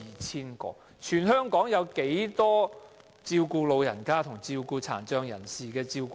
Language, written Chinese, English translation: Cantonese, 全香港有多少名長者和殘障人士的照顧者？, May I ask how many carers of elderly persons and persons with disabilities are there in Hong Kong?